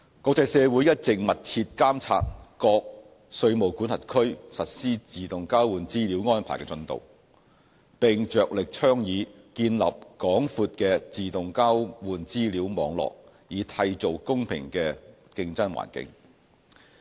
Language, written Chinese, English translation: Cantonese, 國際社會一直密切監察各稅務管轄區實施自動交換資料安排的進度，並着力倡議建立廣闊的自動交換資料網絡，以締造公平的競爭環境。, The international community has been closely monitoring various jurisdictions progress in the implementation of AEOI and putting emphasis on a wide network of AEOI to ensure a level playing field